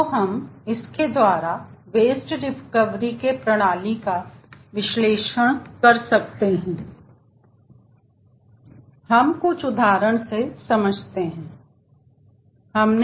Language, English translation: Hindi, so with this we will be able to analyze the wasted recovery system and we will take up certain examples to illustrate this